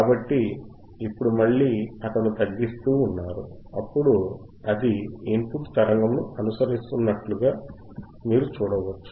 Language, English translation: Telugu, So, now you are again, he is decreasing and you can see it is following the input signal